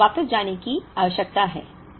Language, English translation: Hindi, Now, we need to go back